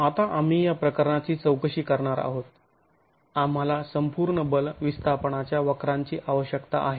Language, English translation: Marathi, Now, we are going to be examining this case, the force defleck we need the entire force deflection curve